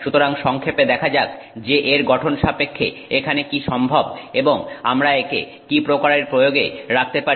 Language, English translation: Bengali, So, let's look briefly at what is possible here with respect to its structure and the application that we can put it to